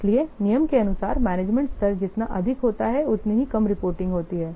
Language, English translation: Hindi, So, as per the rule, the higher the management level, the less frequent is this what reporting